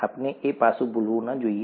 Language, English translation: Gujarati, We should not forget that aspect